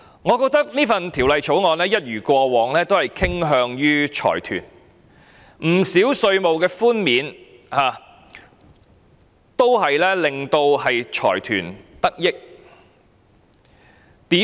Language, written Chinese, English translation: Cantonese, 我認為這項條例草案一如過往傾向於財團，不少稅務寬免令財團得益。, I think this Bill similar to the previous Appropriation Bills is lopsided towards the conglomerates as not a few tax concessions are benefiting them